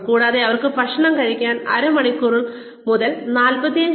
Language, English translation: Malayalam, And, they also need, about half an hour to 45 minutes to have their food